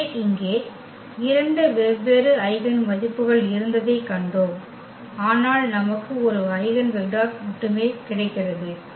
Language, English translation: Tamil, So, here we have seen there were two different eigenvalues, but we get only one eigenvector